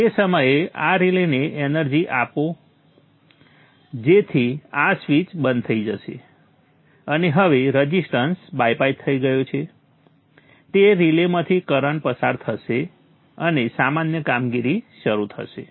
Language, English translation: Gujarati, At that time energize this relay so the switch will be closed and now the resistance is bypassed, current will go through that relay and normal operation begins